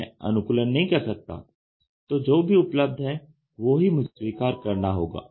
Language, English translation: Hindi, I do not have customisation, I accept what is available